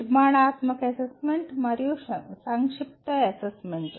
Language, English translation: Telugu, A formative assessment and summative assessment